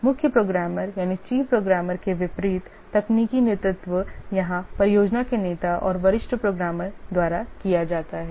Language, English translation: Hindi, The technical leadership, unlike the chief programmer, here it is given by the project leader and the senior programmers